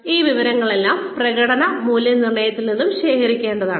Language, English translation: Malayalam, All of this information, can also be gathered, from the performance appraisals